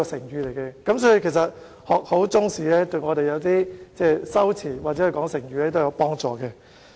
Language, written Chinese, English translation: Cantonese, 由此可見，學好中國歷史對修辭或運用成語都有幫助。, From this we can see that good knowledge of Chinese history is conducive to the use of rhetorical devices or Chinese idioms